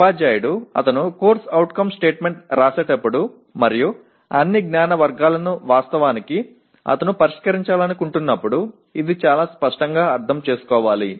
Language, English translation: Telugu, This should be understood very clearly by the teacher when he is writing the CO statement and all the knowledge categories actually he wants to address